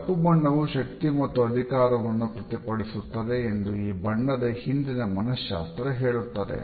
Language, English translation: Kannada, The psychology behind the color black says that it reflects power and authority